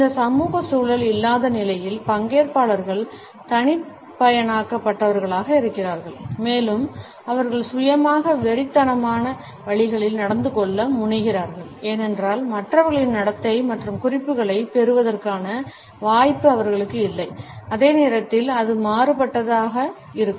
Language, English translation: Tamil, In the absence of this social context, participants are de individualized and they tend to behave in ways which are rather self obsessed because they do not have the opportunity to look at the behaviour of others and receiving the cues and at the same time it can be aberrant